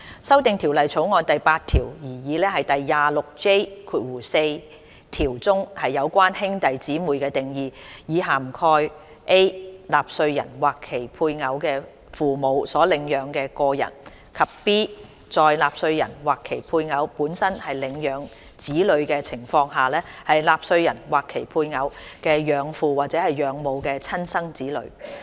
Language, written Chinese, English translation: Cantonese, 修訂《條例草案》第8條，擬議第 26J4 條中，有關兄弟姊妹的定義，以涵蓋 a 納稅人或其配偶的父母所領養的個人；及 b 在納稅人或其配偶本身是領養子女的情況下，納稅人或其配偶的養父或養母的親生子女。, The definition of sibling in the proposed section 26J4 under clause 8 of the Bill is amended to cover a an individual who is adopted by the taxpayers or the spouses parents; and b a natural child of an adoptive parent of the taxpayer or the spouse if the taxpayer or the spouse is himself or herself an adopted child . In the light of the passage of the Inland Revenue Amendment No